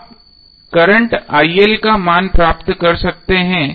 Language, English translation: Hindi, you can apply and get the value of current IL